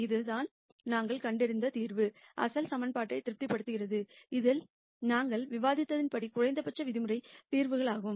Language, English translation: Tamil, So, the solution that we found satisfies the original equation and this also turns out to be the minimum norm solution as we discussed